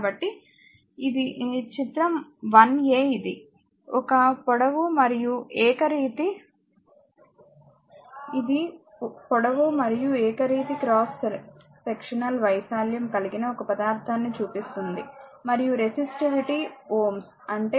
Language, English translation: Telugu, So, figure 1 a it is shows a material with uniform cross section area sectional area of A length is l and resistivity is ohm rho that is ohm meters, right